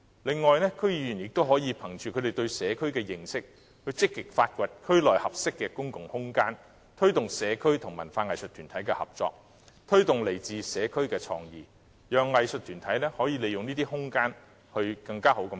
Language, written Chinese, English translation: Cantonese, 此外，區議員亦可憑着他們對社區的認識，積極發掘區內合適的公共空間，推動社區和文化藝術團體的合作，鼓勵來自社區的創意，讓藝術團體可善用這些空間。, Moreover based on their understanding of the communities DC members can also actively identify suitable public spaces in the communities to promote cooperation between the communities and arts and cultural groups thus encouraging local creativity and better use of these spaces by arts groups